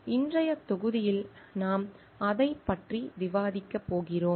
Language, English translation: Tamil, So, today's module we are going to discuss about that